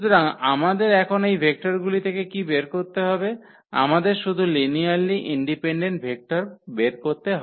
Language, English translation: Bengali, So, what we have to now extract out of these vectors what we have to collect only the linearly independent vectors